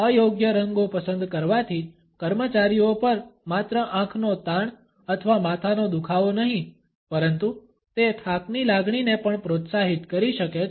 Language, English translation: Gujarati, Choosing inadequate colors may impact employees by causing not only eye strain or headache, but also it can encourage a sense of fatigue